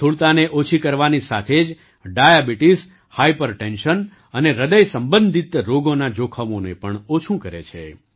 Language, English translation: Gujarati, Along with reducing obesity, they also reduce the risk of diabetes, hypertension and heart related diseases